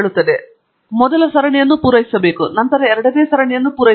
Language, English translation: Kannada, I have to supply the first series, and then, supply the second series